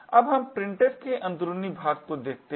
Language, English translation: Hindi, Now let us look at the internals of printf